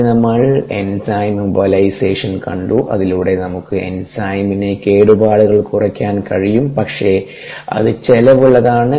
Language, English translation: Malayalam, then we looked at enzyme immobilization, where by we can minimize the damage to the enzyme, but it comes at a cost